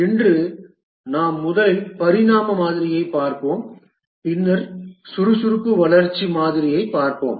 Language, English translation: Tamil, Today we will first look at the evolutionary model and then we will look at the agile development model